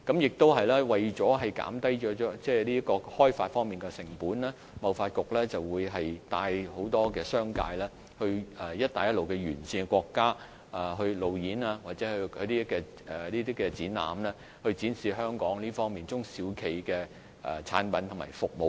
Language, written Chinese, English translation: Cantonese, 此外，為了減低開發成本，貿發局帶領很多商界人士到"一帶一路"的沿線國家進行路演或舉辦展覽，以展示香港中小企業的產品及服務。, Moreover to lower development cost TDC has led many members of the business sector to conduct roadshows or exhibitions in countries along the Belt and Road to showcase the products and services of Hong Kong SMEs